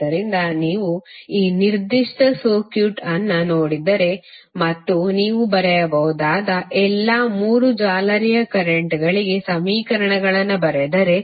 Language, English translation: Kannada, So if you see this particular circuit and you write the equations for all 3 mesh currents what you can write